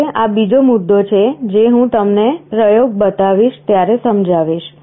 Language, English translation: Gujarati, Now this is another point I shall be explaining when I show you the program